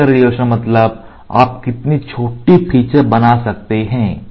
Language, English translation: Hindi, Feature resolution is How small features you can make